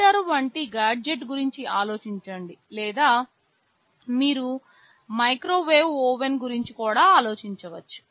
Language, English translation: Telugu, Think of a gadget like heater or even you can think of microwave oven